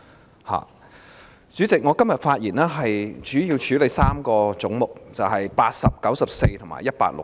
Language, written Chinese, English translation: Cantonese, 代理主席，我今天的發言主要是討論3個總目，分別為80、94及160。, Deputy Chairman today I will mainly discuss three heads in my speech the numbers of which are respectively 80 94 and 160